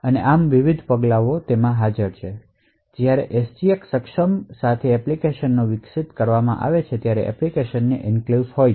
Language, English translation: Gujarati, So, these are the various steps involved when applications are developed with SGX enabled and the applications have enclaves